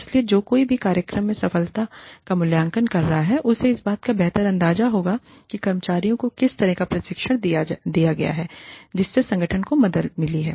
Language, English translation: Hindi, So, anybody, who is evaluating the success of the program, will have a better idea of, how the training, that has been imparted to the employees, has helped the organization